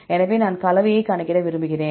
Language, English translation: Tamil, So, I want to calculate the composition